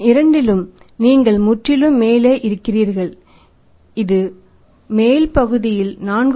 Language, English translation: Tamil, In both the case you are totally top it works out as 4